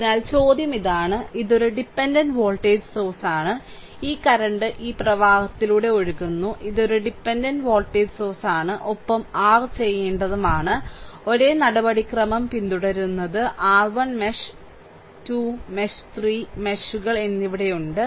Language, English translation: Malayalam, So, we have to find out that I the question is this one; this is a dependent voltage source, right, this current actually I flowing through this current is I and this is a dependent voltage source and you have to you have to your; what you call follow the same procedural, right we have your 1 mesh, 2 mesh and 3 meshes are there